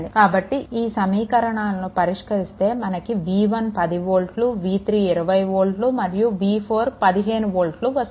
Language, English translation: Telugu, So, if you solve this one if you solve this one then you will get your ah v 1 is equal to 10 volt v 3 is equal to 20 volt and v 4 is equal to 15 volt